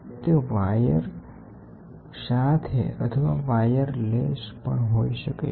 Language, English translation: Gujarati, It can be wired or it can be wireless